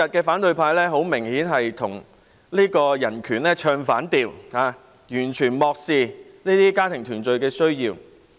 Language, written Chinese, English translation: Cantonese, "反對派今天很明顯與人權唱反調，完全漠視家庭團聚的需要。, Today the opposition is obviously advocating against human rights by completely ignoring the need for family reunion